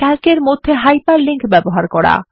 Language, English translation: Bengali, How to use hyperlinks in Calc